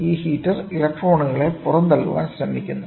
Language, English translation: Malayalam, So, then you have this heater tries to eject electrons